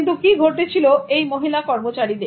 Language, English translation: Bengali, But what happened to the women workers